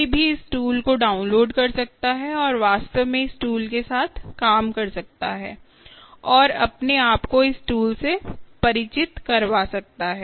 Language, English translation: Hindi, actually, ah, anyone can download this tool and actually play with this tool and get oneself very familiar, ah, with this tool, ok, ah